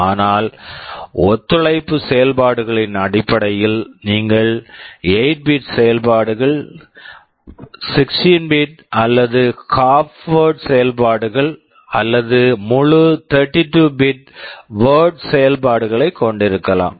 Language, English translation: Tamil, But in terms of the operations which are supported, you can have 8 bit operations, 16 bit or half word operations, or full 32 bit word operations